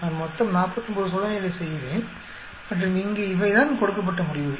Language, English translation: Tamil, I am doing totally 49 experiments, and these are the results given here